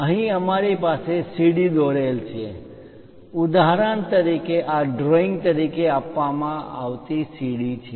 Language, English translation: Gujarati, Here we have a staircase drawing for example, this is the staircase given as a drawing